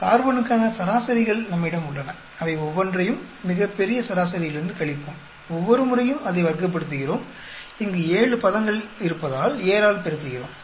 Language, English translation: Tamil, We have the averages for carbon, we subtract each one of the item, with the grand average, square it up every time, we had a multiply by 7 because there are 7 terms here